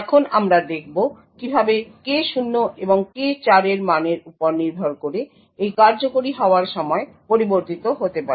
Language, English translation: Bengali, Now we will see how this execution time can vary depending on the values of K0 and K4